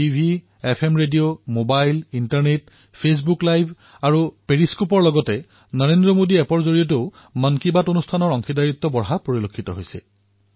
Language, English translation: Assamese, , FM Radio, Mobile, Internet, Facebook Live; along with periscope, through the NarendraModiApp too